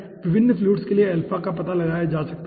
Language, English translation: Hindi, okay, alpha can be found out for different fluids